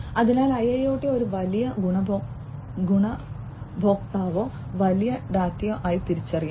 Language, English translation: Malayalam, So, IIoT can be recognized as a big benefactor or big data